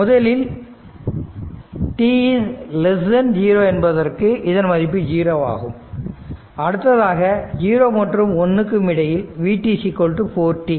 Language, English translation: Tamil, So, it is 0 for t less than 0 and then in second case between 0 and 1 v t is equal to 4 t